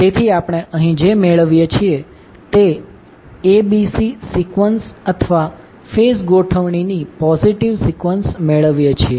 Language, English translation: Gujarati, So, what we get here we get ABC sequence or the positive sequence of the phase arrangement